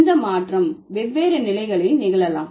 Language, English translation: Tamil, The change might happen at different level